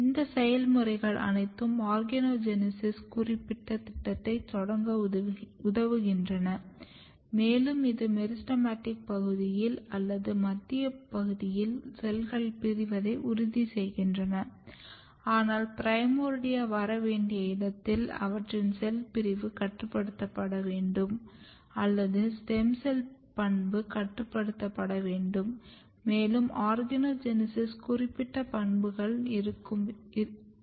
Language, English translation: Tamil, And all this process is helping in initiation of organogenesis specific program and this is together basically ensuring that in the meristematic region or in the central region cell should be dividing, but in the region where primordia has to come their cell division has to be restricted or the stem cell property has to be restricted, and should be more kind of organogenesis specific property this is another simple way of looking here